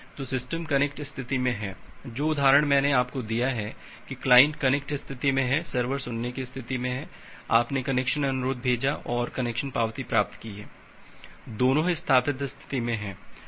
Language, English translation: Hindi, So the system is in the connect state, the example that I have given you, that the client is in the connect state, the server is in the listen state, you have sent a connection request and got an connection acknowledgement, both are in the established state